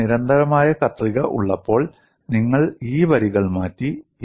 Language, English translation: Malayalam, When I have constant shear, you have these lines changed